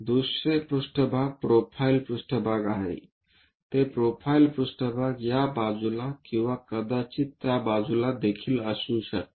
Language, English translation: Marathi, The other plane is profile plane, that profile plane can be on this side or perhaps on that side also